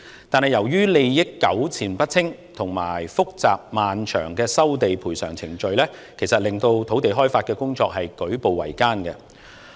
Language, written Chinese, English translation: Cantonese, 但是，由於利益糾纏不清，以及複雜漫長的收地、賠償程序，令土地開發工作舉步維艱。, However the intricate network of interests and complicated and prolonged land resumption and compensation processes have made the task of land development very slow and difficult